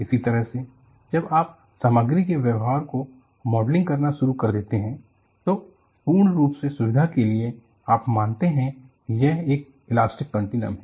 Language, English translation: Hindi, On the similar vein, when you have started modeling the material behavior, it was convenient, purely out of convenience, you consider that, it is an elastic continuum